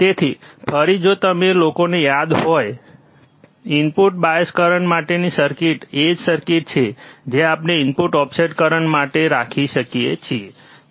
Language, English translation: Gujarati, So, again you if you if you guys remember, the circuit for the input bias current is the same circuit we can have for input offset current